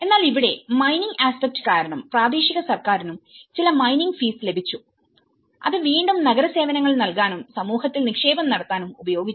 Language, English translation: Malayalam, But here, because of the mining aspect, so they also the local government also received some mining fees and which again it has been in turn used to provide the city services and make investments in the community